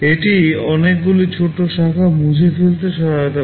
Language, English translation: Bengali, This helps in removing many short branches